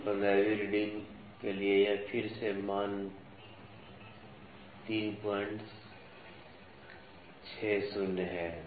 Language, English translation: Hindi, So, for the 15th reading again this value is 3